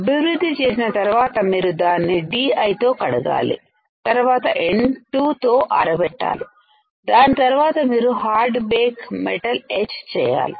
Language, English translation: Telugu, After developing you have to again rinse it rinse with D I and then dry with N 2 then you have to do hard bake metal etch